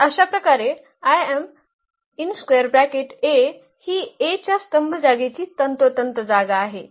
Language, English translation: Marathi, So, thus the image A is precisely the column space of A